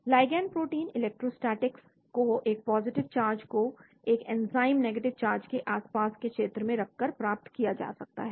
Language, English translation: Hindi, Ligand protein electrostatics can be achieved by placing a positive charge in close vicinity to an enzyme negative charge